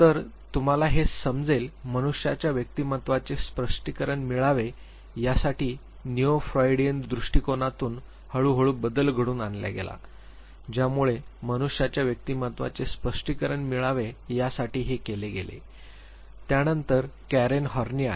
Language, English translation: Marathi, So, you would realize that there was a gradual shift from the neo Freudian approach to the other approach that was taken to explain personality of human beings then came Karen Horney